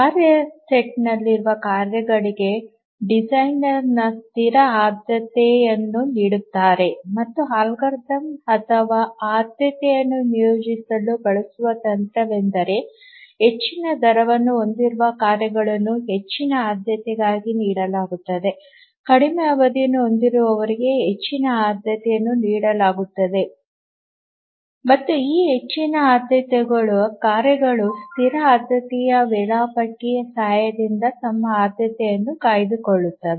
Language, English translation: Kannada, The designer assigns static priority to the tasks that are there in the task set and the algorithm or the technique that he uses to assign priority is that the tasks which have higher rate are given as higher priority those who have shorter period are assigned higher priority and these higher priority tasks they maintain their priority this static priority scheduler once the designer assigns priority to a task it does not change and then a higher priority task always runs even if there are lower priority tasks